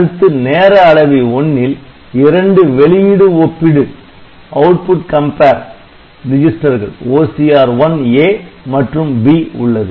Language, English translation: Tamil, Then in timer 1, it has got two output compares OCR1 A and B